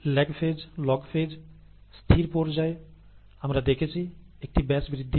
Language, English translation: Bengali, The lag phase, the log phase, the stationary phase is what we had seen in a typical batch growth